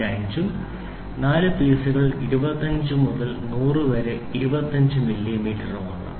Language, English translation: Malayalam, 5 and four pieces range from 25 to 100 is 25 millimeter